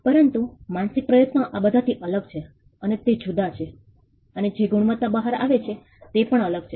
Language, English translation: Gujarati, But the mental effort differs from all these is different and it differs, and the quality that comes out while also differ